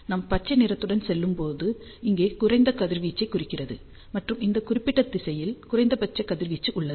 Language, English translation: Tamil, And as we move along color green here implies lower radiation, and minimum radiation is present in this particular direction